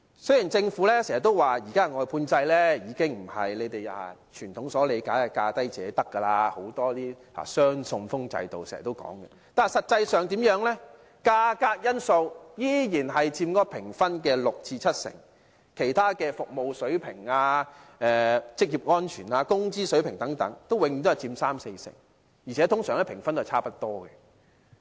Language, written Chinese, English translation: Cantonese, 雖然政府經常表示，現行的外判制度已經不是我們傳統所理解的價低者得形式，而是採用"雙信封制"，但實際上價格因素仍然佔該評分的六成至七成，其他服務水平、職業安全、工資水平等永遠只佔三四成，而且通常評分是差不多的。, Although the Government always says that the existing outsourcing system is no longer based on the traditional lowest bid wins principle as we know but is adopting the two - envelope tendering approach in reality the price aspect still takes up 60 % to 70 % of the assessment while other aspects like service standard occupational safety and wage level will always only take up 30 % to 40 % of the assessment and usually with similar scores for the bidders in other aspects